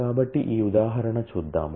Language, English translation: Telugu, So, let us look at example